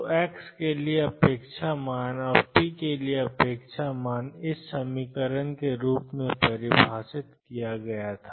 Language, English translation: Hindi, So, expectation value for x and expectation value of p were define as minus infinity to infinity psi x square x dx